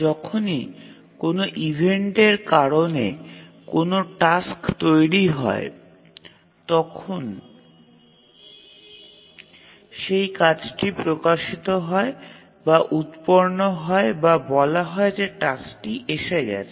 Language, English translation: Bengali, So whenever a task gets generated due to an event, we say that the task is released or is generated or we even say that task has arrived